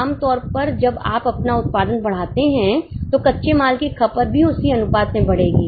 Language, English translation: Hindi, Normally when you increase your output, the raw material consumption will also increase in the same proportion